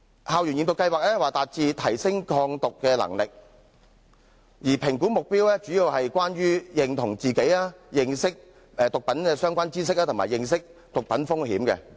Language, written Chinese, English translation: Cantonese, 校園驗毒計劃旨在提升學生的抗毒能力，而評估目標主要針對自我認同、認識毒品的相關知識及認識毒品的風險。, The school drug testing scheme seeks to enhance students ability to resist drugs and the assessment objectives mainly focus on self - identification gaining relevant knowledge of drugs and understanding the risks of drugs